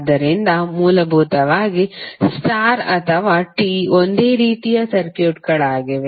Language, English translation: Kannada, So basically the star or T are the same type of circuits